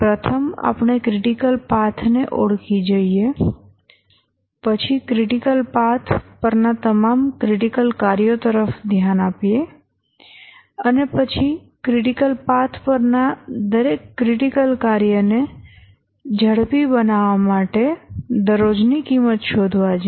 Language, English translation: Gujarati, First is we must identify the critical path and then look at all the critical tasks on the critical path and then find the cost per day to expedite each task on the critical path and then identify the cheapest task to expedite and then gradually reduce it